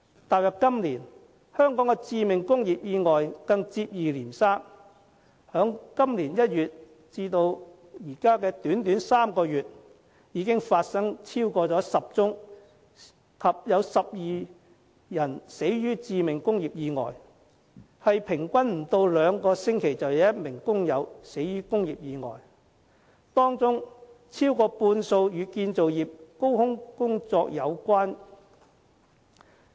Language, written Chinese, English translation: Cantonese, 踏入今年，香港的致命工業意外更接二連三，在今年1月至現在短短3個月，已經發生了超過10宗及12人死的致命工業意外，平均不到兩星期便有1名工友死於工業意外，當中超過半數與建造業高空工作有關。, Since the beginning of this year fatal industrial accidents have taken place one after another in Hong Kong . In the first three months of this year more than 10 fatal industrial accidents took place claiming 12 lives . This means that on average one worker died in industrial accidents in less than two weeks and more than half of the cases were related to work - at - height construction activities